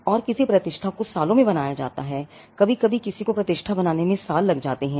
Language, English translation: Hindi, And a reputation is built over years sometimes it takes many years for somebody to build a reputation